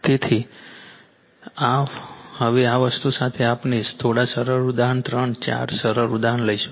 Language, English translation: Gujarati, So, in the now with this thing, we will take few simple your simple example three four example